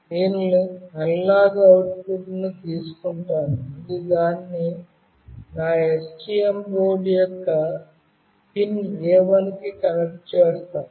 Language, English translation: Telugu, I will be taking the analog output and I will be connecting it to pin A1 of my STM board